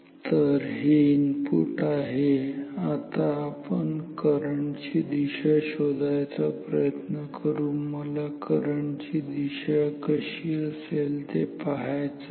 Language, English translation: Marathi, So, this is the input, now let us find out the direction of the current which I want how the correct the direction of the current should be